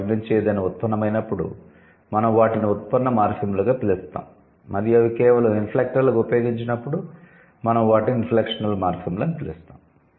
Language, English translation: Telugu, So, when they derive something, we call them derivational morphem and when they are just used as the inflectors we call them inflectional morphem